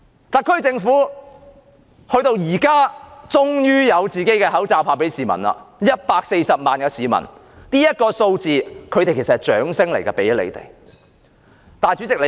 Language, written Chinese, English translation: Cantonese, 特區政府現在終於有自己的口罩派發給市民 ，140 萬位市民登記，這個數字其實是給特區政府的掌聲。, Finally the SAR Government has its own masks for distribution to the public and 1.4 million people have registered . The figure warrants a round of applause for the SAR Government